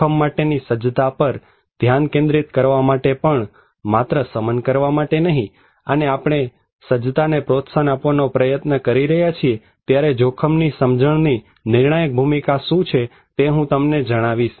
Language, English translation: Gujarati, Also to focus on risk preparedness, not only in mitigation and also I will tell you what is the critical role of risk perception when we are trying to promote preparedness